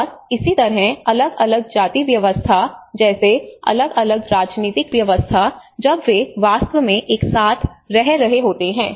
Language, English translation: Hindi, And similarly in a system like different cast systems, different political systems when they are actually living together